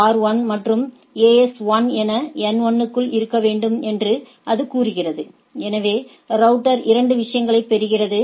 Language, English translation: Tamil, It is saying that in order to N 1 within the as R 1 and AS 1 is there; so, router 2 gets the things right